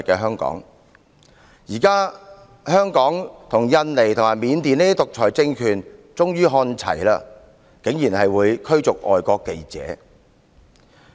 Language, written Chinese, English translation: Cantonese, 香港現時已與印尼和緬甸等獨裁政權看齊，竟然會驅逐外國記者。, Now Hong Kong is on a par with those totalitarian regimes such as Indonesia and Burma as it also expelled foreign journalists